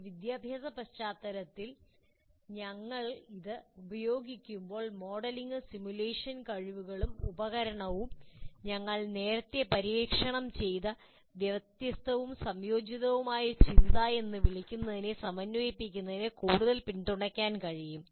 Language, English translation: Malayalam, When we use it in educational context, modeling and simulation skills and tools can further support the integration of both what you call divergent and convergent thinking, which you have explored earlier